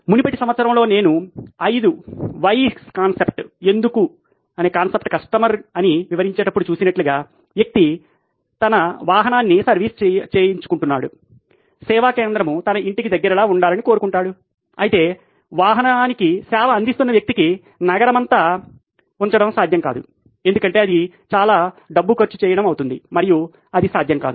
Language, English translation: Telugu, Like we saw in the earlier case when I was explaining the 5 whys concept is the customer, person was getting his vehicle serviced wanted the service centre to be close to his home whereas the person who was servicing the vehicle, the company they wouldn’t have that